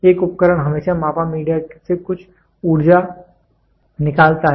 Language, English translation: Hindi, An instrument always extracts some energy from the measured media